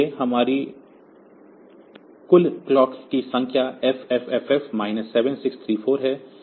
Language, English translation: Hindi, So, our total clock count is FFFF minus 7 6 3 4 plus 1